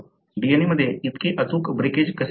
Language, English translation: Marathi, So, how such precise breakage at the DNA takes place